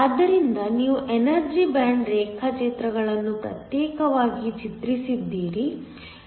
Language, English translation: Kannada, So, you have drawn the energy band diagrams separately